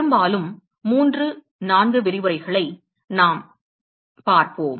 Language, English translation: Tamil, Mostly 3, 4 lectures down the line we will see yes